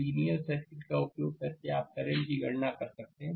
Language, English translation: Hindi, Using the simple circuit, you can calculate the current